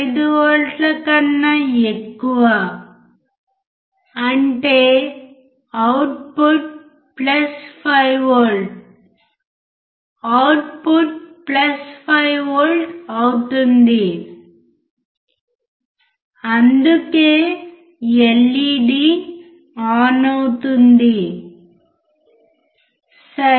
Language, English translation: Telugu, 5 volts means output will be plus 5V output will be plus 5 volt that is why LED is on right